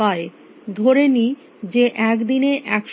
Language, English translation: Bengali, Let assume that there are 100 hours in a day